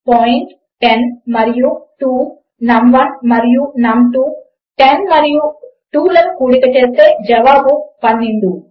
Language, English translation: Telugu, 10 and 2, num1 and num2, when 10 and 2 are added, the answer is 12